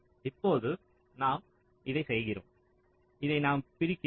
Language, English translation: Tamil, we are doing like this, this we are splitting into